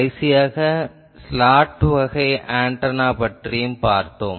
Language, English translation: Tamil, So, in the last one we have seen a slot type of antenna